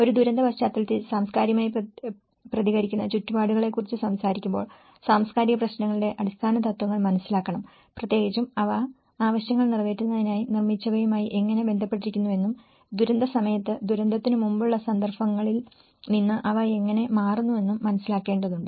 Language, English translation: Malayalam, When we talk about the cultural responsive built environments in a disaster context, one has to understand the basics of the cultural issues and how especially, they are related to the built to meet needs and how they change from the pre disaster context during disaster and the post disaster context and over a long run process